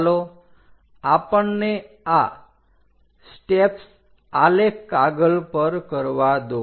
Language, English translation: Gujarati, Let us do that these steps on a graphical sheet